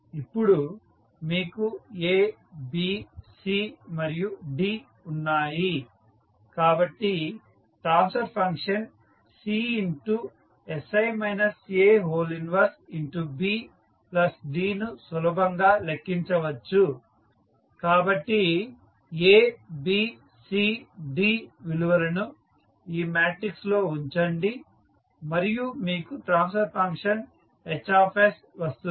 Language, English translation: Telugu, Now, you have A, B, C and D so the transfer function you can simply calculate that is sI minus A inverse B plus D so put the values of A, B, C, D in this matrix and simplify you get the transfer function Hs